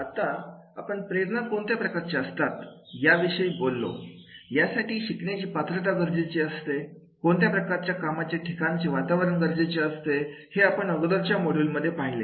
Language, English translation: Marathi, Now, we have talked about that is the what sort of the motivation level learners ability is required, what type of the work environment is required in the earlier module